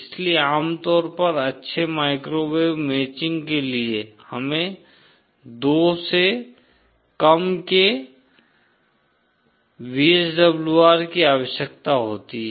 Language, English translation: Hindi, So, usually for good microwave matching, we require VSWR of less than 2